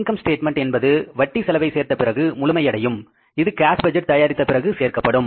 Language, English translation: Tamil, The income statement will be complete after addition of the interest expense, which is compounded after the cash budget has been prepared